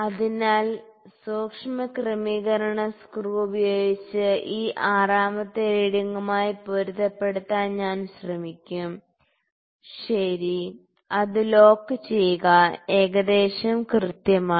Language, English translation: Malayalam, So, using fine adjustment screw, I will try to match this 6th reading yeah lock it so, almost perfect